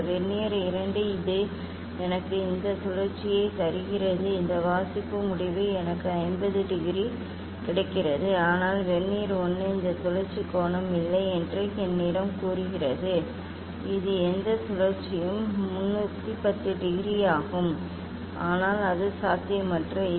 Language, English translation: Tamil, this Vernier 2 it is giving me this rotation, this reading result I am getting 50 degree, but Vernier 1 is telling me no this angle of rotation, this whatever rotation it is 310 degree, but it is impossible